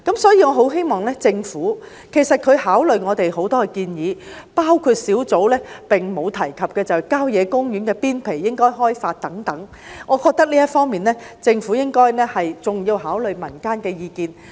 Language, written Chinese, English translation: Cantonese, 所以，我很希望政府在考慮我們的很多建議時，包括土地供應專責小組並無提及的郊野公園邊陲應加以開發等方面，還要考慮民間的意見。, Therefore I hope that the Government will take into account the views of the community when considering our numerous proposals including the development of the country park outskirts which had not been mentioned by the Task Force on Land Supply